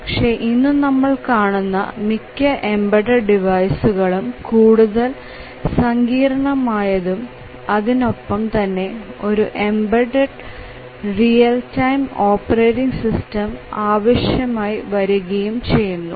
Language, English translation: Malayalam, But then many of the embedded devices are getting more and more complex and sophisticated and all of them they need a embedded real time operating system